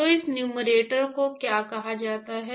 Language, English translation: Hindi, So, what is this numerator called as